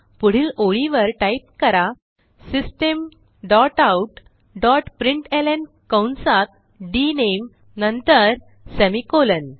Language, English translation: Marathi, So next line Type System dot out dot println within brackets dName then semicolon